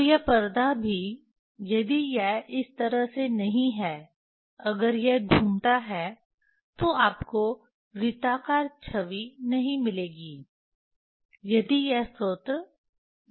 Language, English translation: Hindi, and this screen also Vernier if it is not this way, if it is rotate, then you will not get circular image if when this source is circular